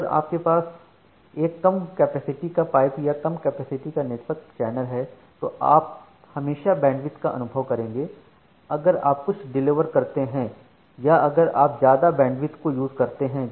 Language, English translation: Hindi, If you have a lower lower capacity pipe or lower capacity network channel you will always experience bandwidth if you are going to going to say deliver or if you are going to use more amount of bandwidth